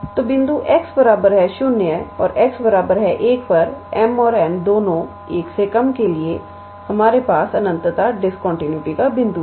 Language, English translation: Hindi, So, for both m and n less than 1 at the point x equals to 0 and x equals to 1 we have the point of infinite discontinuity